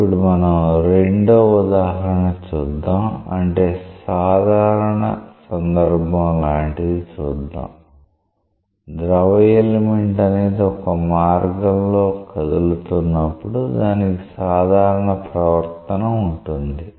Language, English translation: Telugu, Now, we will look into a second example after this where we will see that like if you have a general case, when the when a fluid element is moving along a path then like it can have a general type of behavior